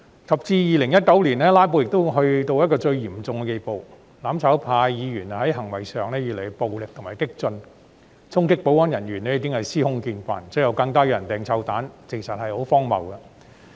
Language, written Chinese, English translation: Cantonese, 及至2019年，"拉布"已達到最嚴重的地步，"攬炒派"議員在行為上越趨暴力和激進，衝擊保安人員已是司空見慣，最後更有人投擲臭蛋，簡直荒謬。, Their filibuster reached its zenith in 2019 with the behaviour of the mutual destruction - camp Members getting more violent and radical . It had become common to see them charge at security staff